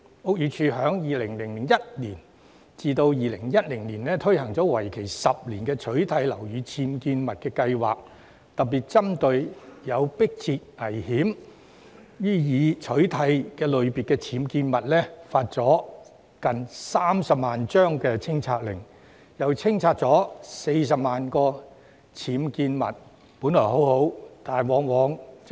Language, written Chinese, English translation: Cantonese, 屋宇署在2001年至2010年推行為期10年的取締樓宇僭建物計劃，特別針對有迫切危險"須予以取締"類別的僭建物，其間發出了接近30萬張清拆令，並清拆了40萬個僭建物，成效良好。, The Buildings Department implemented a 10 - year UBWs crackdown programme from 2001 to 2010 targeting particularly on the actionable UBWs posing imminent dangers . During that period nearly 300 000 removal orders were issued and 400 000 UBWs were removed . The result was remarkable